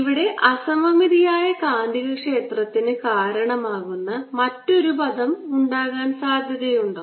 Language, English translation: Malayalam, is it possible that there could be another term here which gives rise to magnetic field